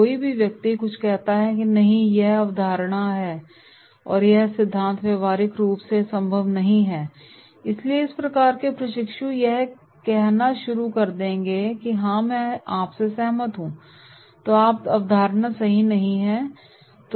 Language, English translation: Hindi, Somebody objects something, “No this concept and this theory is not practically possible” so this type of trainees they will start saying “Yes I also agree with you” then this concept will not work right